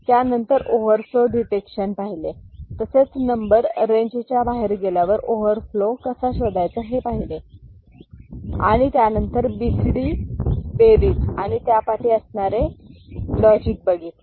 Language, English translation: Marathi, And, then we discussed overflow detection, how to detect overflow if the number goes out of the range and then we also discussed BCD addition and the logic behind it and how to arrive at those logics